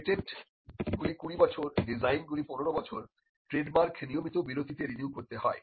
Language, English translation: Bengali, Patent patents are kept for 20 years designs for 15 years trademarks have to be kept renewed at regular intervals